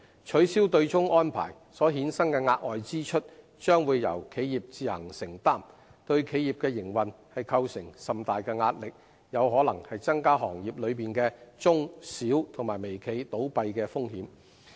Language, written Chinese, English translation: Cantonese, 取消對沖安排所衍生的額外支出，將會由企業自行承擔，對企業的營運構成甚大壓力，有可能增加行業內的中小微企倒閉的風險。, Additional expenses entailed by abolishing the offsetting arrangement will be borne by the companies exerting huge pressure on their operation and may even put them at higher risks of closure